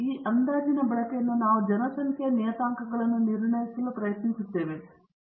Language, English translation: Kannada, And using this estimate, we try to infer about the population parameters